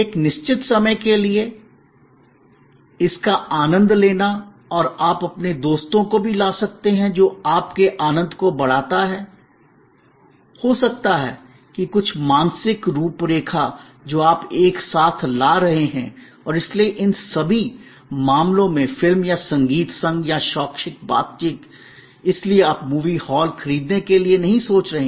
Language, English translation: Hindi, For a certain time, enjoying it and you are bringing also may be your friends, which enhances your enjoyment, maybe certain mental framework that you are bringing together and therefore, the movie or a music consort or an educational interaction in all these cases therefore, you are not looking for buying the movie hall